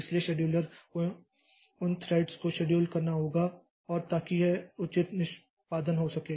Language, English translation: Hindi, So, so scheduler has to schedule those threads and so that this proper execution takes place